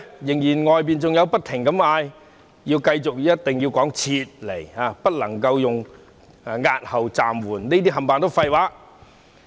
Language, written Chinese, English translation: Cantonese, 然而，外界仍一直要求政府要用"撤回"二字，不能用押後或暫緩，指這些用詞都是廢話。, However some people still insist that the Government must use the term withdraw instead of postpone or suspend calling the latter words nonsense